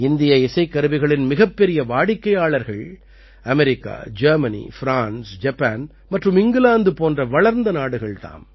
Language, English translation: Tamil, The biggest buyers of Indian Musical Instruments are developed countries like USA, Germany, France, Japan and UK